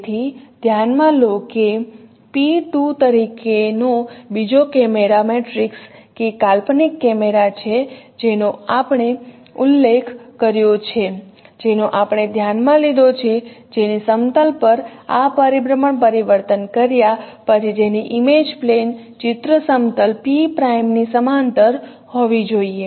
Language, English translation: Gujarati, So, consider that the second camera matrix as P2, that is the imaginary camera as I mentioned which we considered whose image plane should be parallel to the image plane of P prime after performing this rotational transformations on the image planes